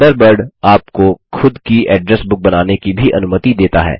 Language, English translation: Hindi, Thunderbird also allows you to create your own address book